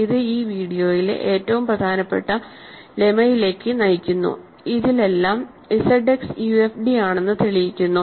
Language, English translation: Malayalam, And this leads to the most important lemma in this video, and in this all prove that Z X is UFD is the following